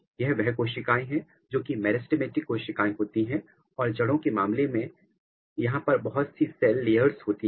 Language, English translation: Hindi, These are the cells which are meristematic cells and in case of root there are different cell layers